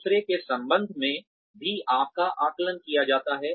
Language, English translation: Hindi, You are also assessed, in relation to others